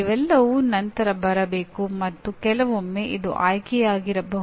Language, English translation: Kannada, All these should come later and sometimes it can be optional